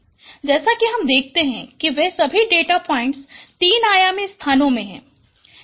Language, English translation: Hindi, There are five data points as you see there all data points are in three dimensional space